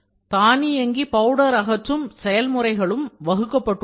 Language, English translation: Tamil, Automated loose powder removal processes have been developed